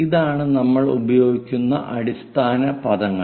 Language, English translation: Malayalam, This is the standard words what we use